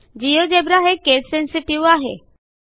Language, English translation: Marathi, Geogebra is case sensitive